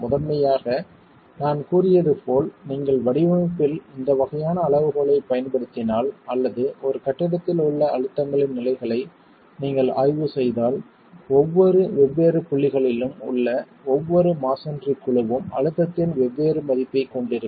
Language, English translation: Tamil, Primarily as I said if you were to use this sort of a criterion in design or you were to examine the states of stresses in a building, every masonry panel at every different point is going to have a different value of stress